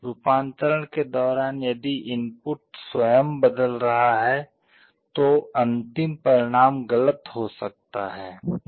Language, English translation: Hindi, During conversion if the input itself is changing, the final result may become erroneous